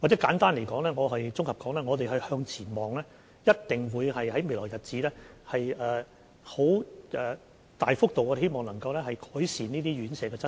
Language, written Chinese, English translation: Cantonese, 簡單和綜合地說，我們一定會向前看，希望在未來日子能大幅度改善這些院舍的質素。, In brief and in summary we will surely look forward in the hope that the quality of these care homes can be significantly improved in future through some means